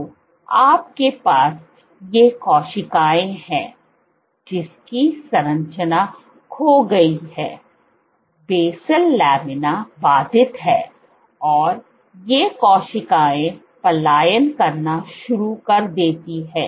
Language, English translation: Hindi, So, what you have is these cells, the structure is lost, the basal lamina is disrupted and these cells start to migrate